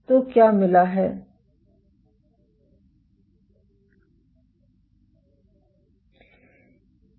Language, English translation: Hindi, So, what is found, ok